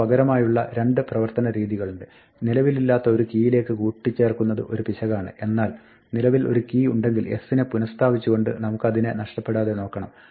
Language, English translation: Malayalam, We have two alternative modes of operation it is an error to try an append to a non existent key, but if there is an existing key we do not want to lose it by reassigning s